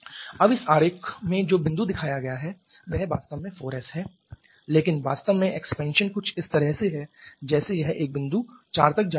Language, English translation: Hindi, Now in this diagram the point that is shown that is actually 4S but and truly the expansion is something like this it is going up to a point 4 somewhere here